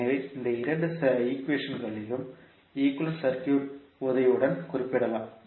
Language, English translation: Tamil, So, these two equations can be represented with the help of a equivalent circuit